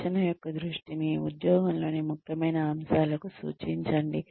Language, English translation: Telugu, attention, to important aspects of the job